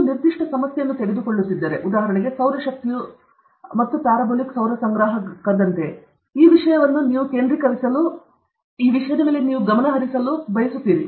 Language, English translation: Kannada, You take a particular problem – solar energy and like something parabolic solar collector this thing you want to concentrate, concentrate and concentrate okay